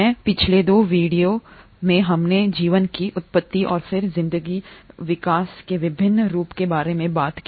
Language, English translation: Hindi, In the last 2 videos we did talk about the origin of life and then the evolution different forms of life